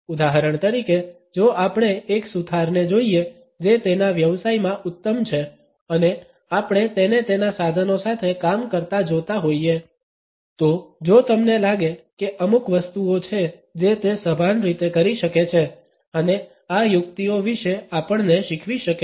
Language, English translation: Gujarati, For example, if we look at a carpenter who is excellent in his profession and we watch him working with his tools, if you would find that there are certain things which he may do in a conscious manner and can teach us about these tricks